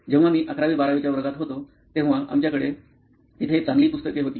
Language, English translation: Marathi, When I am in the class 11th 12th, we had a good set of books there